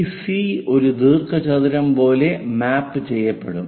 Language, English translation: Malayalam, This C will be mapped like a rectangle